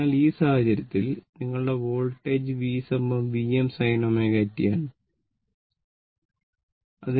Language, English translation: Malayalam, And in this case, your voltage source V is equal to V m sin omega t